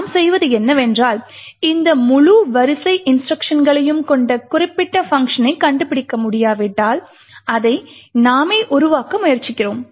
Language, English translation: Tamil, What we do is that if we cannot find specific function which has this entire sequence of instructions, we try to build it ourselves